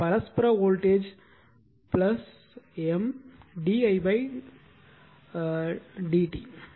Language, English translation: Tamil, So, mutual voltage is plus M d i1 upon d t are